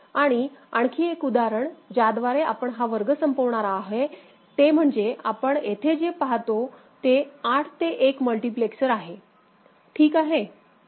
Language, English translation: Marathi, And another example with which we end this class is that what you see over here is a 8 to 1 multiplexer, ok